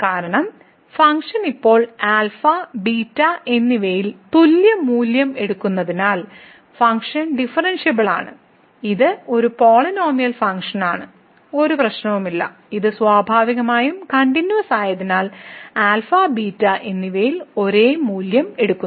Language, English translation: Malayalam, Because, of the reason because the function is taking now equal value at alpha and beta, function is differentiable, it is a polynomial function, there is no problem, the it is continuous naturally and it is taking the same value at alpha and beta